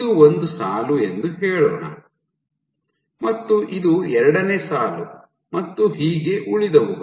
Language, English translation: Kannada, So, let us say this is line 1, so this can be line 2 so on and so forth